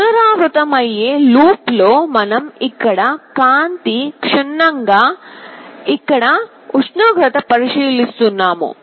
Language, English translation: Telugu, In a repetitive while loop we are checking the light here, we are checking the temperature here